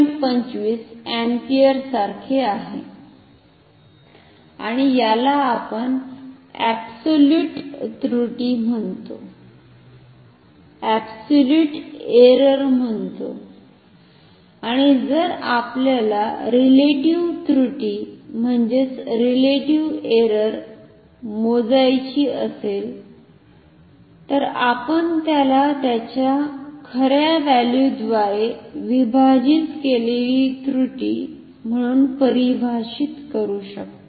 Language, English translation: Marathi, 25 ampere and this we call the absolute error and if we want to measure say relative error and we can define it as the error divided by true value